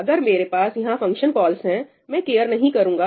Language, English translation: Hindi, If I have function calls over here, I would not care